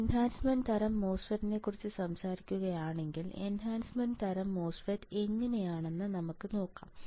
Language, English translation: Malayalam, If I talk about enhancement type MOSFET; let us see how the enhancement type MOSFET looks like